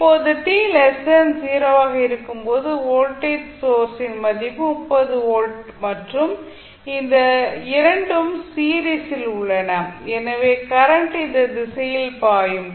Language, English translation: Tamil, Now, at time t less than 0 the value of voltage source is 30 volt and these 2 are in series because the current will flow through these direction